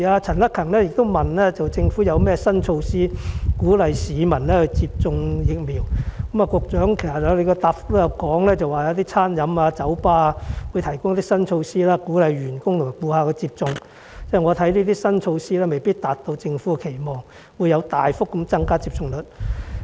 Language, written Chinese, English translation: Cantonese, 陳克勤議員詢問政府有甚麼新措施鼓勵市民接種疫苗，局長的主體答覆提到餐飲處所、酒吧等有一些新措施鼓勵員工和顧客接種，但我覺得這些新措施未必能達到政府期望，令接種率大幅增加。, While Mr CHAN Hak - kan asked what new measures the Government had put in place to encourage members of the public to receive vaccination the Secretary mentioned in her main reply some new measures taken in catering premises bars and pubs etc . to encourage vaccination among their staff and customers but I consider that these new measures may not necessarily be able to meet the Governments expectation of a significant increase in vaccination rate